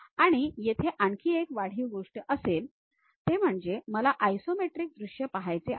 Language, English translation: Marathi, And there will be additional things like, I would like to see isometric view